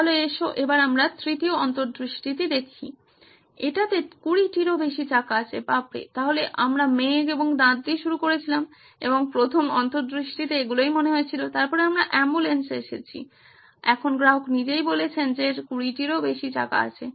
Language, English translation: Bengali, So let us go on to the third insight, it has more than 20 wheels oops, so we started with cloud and teeth maybe and all that in the first insight, then we came to ambulance now the customer himself says it has more than 20 wheels